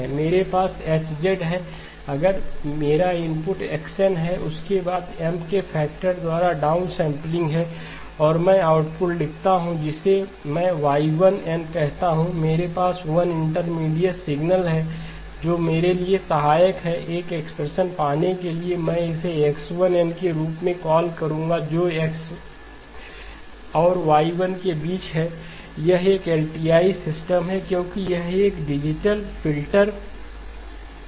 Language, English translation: Hindi, I have H of Z, if my input is X followed by the down sampling by a factor of M and I write down the output I call this as Y1, I have 1 intermediate signal which is helpful for me to get an expression for, let me call that as X1 of n between X and X1, it is an LTI system, because it is a digital filter